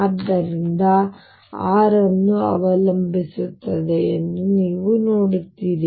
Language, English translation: Kannada, So, you see that r depends on l